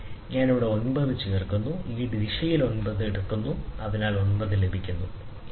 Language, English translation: Malayalam, So, I add a I add 9 minutes in this direction, so directly 9 minutes is got, so no problem